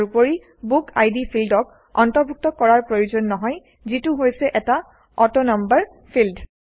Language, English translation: Assamese, Also, we need not include the BookId field which is an AutoNumber field